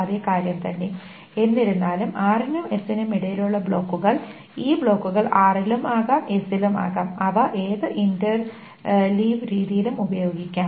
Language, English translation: Malayalam, However, the blocks between R and S, so these blocks can be in R and in S, they can be used in any interleaved manner